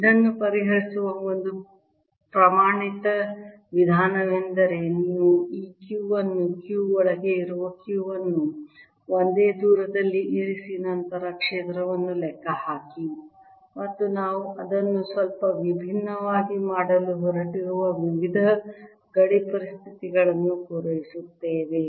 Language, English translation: Kannada, a standard way of solving this is that you take this q, put a q inside, which is q one at the same distance d and then calculate the field and satisfy various boundary conditions